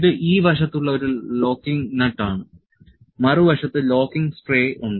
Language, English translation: Malayalam, This is a locking nut on this side, locking stray on the other side